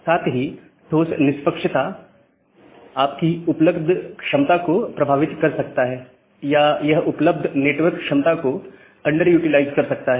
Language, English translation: Hindi, And at the same time, hard fairness can affect your capacity, the available capacity or it can under utilize the available network capacity